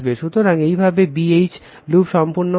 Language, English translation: Bengali, So, this way your B H loop will be completed right